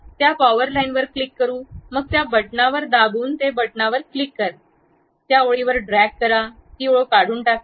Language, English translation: Marathi, Let us click that power line, then click that button hold it, drag along that line, it removes that line